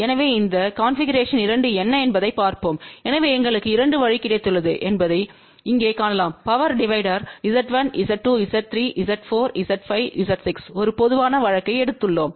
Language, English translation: Tamil, So, let us see what this configuration 2 is so you can see here that we have got a 2 way power divider, we have written a general case where Z1 Z 2 Z 3 Z 4 Z 5 Z 6, so that means this configuration can be utilized for unequal power divider also